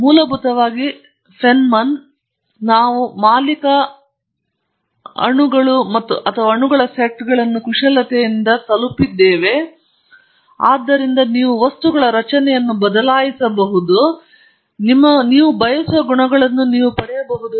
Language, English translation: Kannada, And essentially Feynman said that we have reached the point when we can manipulate individual molecules or sets of molecules, and therefore, you can change the structure of material, so that you can get the properties you want